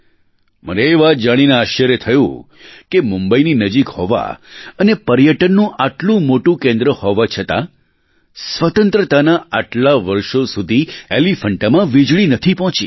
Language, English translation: Gujarati, I was surprised to know that despite being such a prominent center of tourism its close proximity from Mumbai, electricity hadn't reached Elephanta after so many years of independence